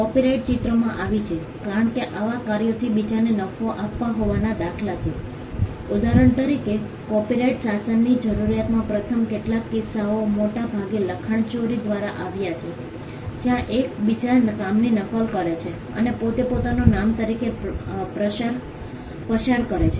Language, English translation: Gujarati, Copyright came into picture because there were instances of others profiting from these works for instance the first few instances of the need for a copyright regime came largely through plagiarism where one copies the work of another and passes it off as his own work